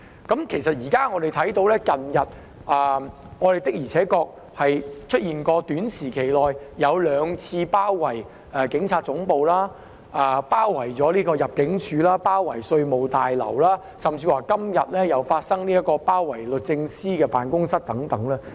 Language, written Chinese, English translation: Cantonese, 我們現在可以見到，近日的確在短期內出現了兩次包圍警察總部、入境事務大樓、稅務大樓的情況，甚至今天有人發起包圍律政司辦公室等。, We can see that in recent days two instances of besieging the Police Headquarters in addition to the surrounding of the Immigration Tower and the Revenue Tower have occurred within a short period of time and today some people even organized a siege of the offices of the Department of Justice